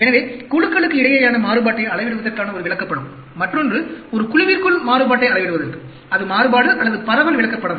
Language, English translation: Tamil, So, one chart for measuring the variability between groups, and another, for measuring variability within a group; that is variation or dispersion chart